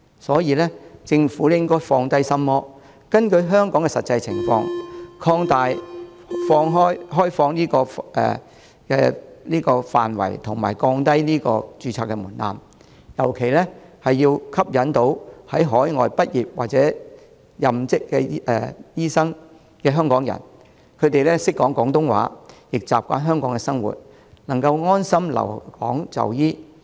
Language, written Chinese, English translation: Cantonese, 所以，政府應該放下心魔，根據香港的實際情況，擴大開放的範圍及降低註冊門檻，尤其要吸引在海外畢業或任職醫生的香港人，他們懂廣東話，習慣香港生活，能夠安心留港就醫。, Hence the Government should overcome the devil in its heart . It should according to the practical situation in Hong Kong expand the scope of admission and lower the registration threshold . It should in particular appeal to those Hong Kong people in the medical field who graduated or are practising overseas because they understand Cantonese are accustomed to the Hong Kong lifestyle and can easily settled while practising in Hong Kong